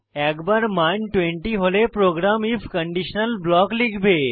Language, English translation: Bengali, Once the value becomes 20, the program enters the conditional if block